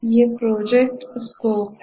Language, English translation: Hindi, So, these are the project scope